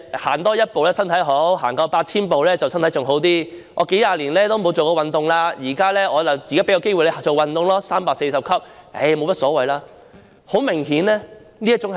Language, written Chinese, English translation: Cantonese, "多走一步身體好，多走 8,000 步身體便更好，我數十年都沒有做運動，現在便有一個做運動的機會 ，340 級樓梯沒甚麼大不了"。, Walk 8 000 more steps and you will be healthier . I have not done any exercise for a few decades and here comes a chance now . It is no big deal to walk 340 stair steps